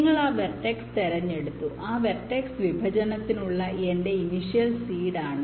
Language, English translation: Malayalam, ok, you select that vertex and let that vertex be my initial seed for that partition